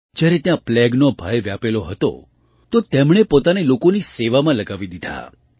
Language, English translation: Gujarati, When the dreadful plague had spread there, she threw herself into the service of the people